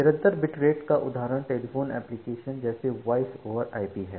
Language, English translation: Hindi, So example of constant bit rate is telephone applications like Voice over IP